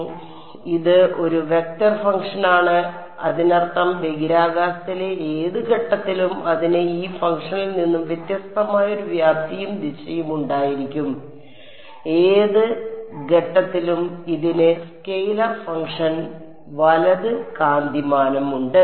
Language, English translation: Malayalam, So, it is a vector function; that means, at any point in space it will have a magnitude and direction right unlike this function L 1 L 2 L 3 which at any point this has a magnitude the scalar function right